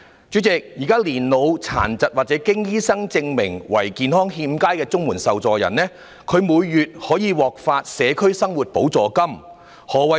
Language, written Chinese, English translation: Cantonese, 主席，現時年老、殘疾或經醫生證明為健康欠佳的綜援受助人每月可獲發社區生活補助金。, President currently elderly and disabled CSSA recipients or those medically certified to be in ill health are entitled to the Community Living Supplement monthly